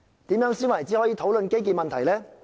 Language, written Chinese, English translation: Cantonese, 怎樣才算是討論基建問題呢？, How should discussion on infrastructures be conducted?